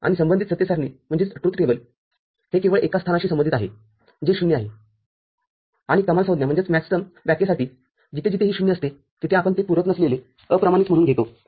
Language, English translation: Marathi, And the corresponding truth table this corresponds to only one location that is 0 and for the Maxterm definition, wherever there is a 0 we take it we take it as uncomplemented, unprimed